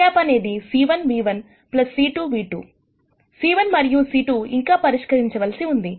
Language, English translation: Telugu, The c 1 and c 2 are yet to be determined